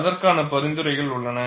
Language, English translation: Tamil, There are recommendations for that